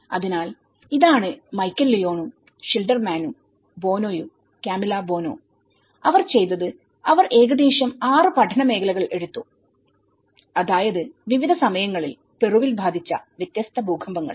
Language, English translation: Malayalam, So, this is Michael Leone and Schilderman and Boano; Camillo Boano, so what they did was they have taken about 6 study areas, which are affected by different earthquakes in different timings and different parts of Peru